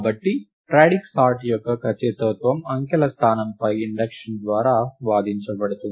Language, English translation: Telugu, So, the correctness of radix sort is argued by induction on the digit position